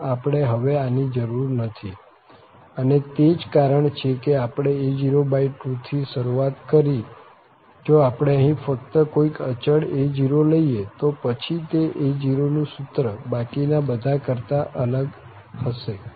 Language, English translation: Gujarati, So, this we do not need now, and that’s the reason we have to started with a0 by 2, if we take just here some constant a0, then that a0 formula will be different than the rest